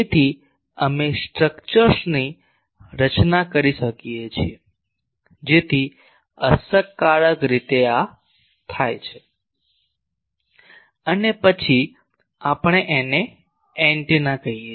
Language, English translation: Gujarati, So, we can design the structures, so that efficiently do this and then we call that is antenna